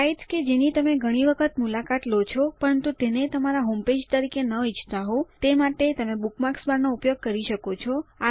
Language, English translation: Gujarati, You can use the bookmarks bar for sites which you visit often, but dont want to have as your homepage